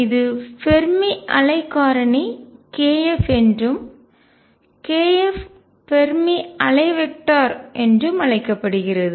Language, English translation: Tamil, This is known as Fermi wave factor k, k f is known as Fermi wave vector